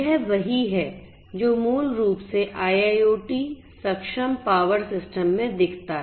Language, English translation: Hindi, This is what basically looks like in an IIoT enabled power system